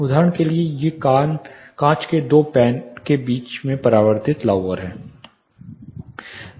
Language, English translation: Hindi, For example, these are reflective louvers placed in between two panes of glass